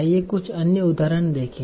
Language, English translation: Hindi, So let us see some other examples